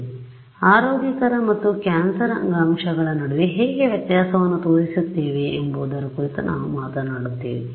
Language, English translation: Kannada, So, we will talk about how we will distinguish between healthy and cancerous tissue